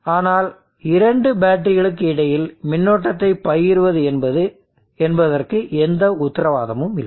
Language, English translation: Tamil, But there is no guarantee that there will be sharing of current between the two batteries